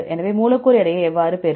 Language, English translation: Tamil, So, how to get the molecular weight